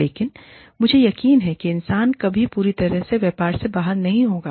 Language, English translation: Hindi, But, i am sure, that human beings will never be out of, completely out of business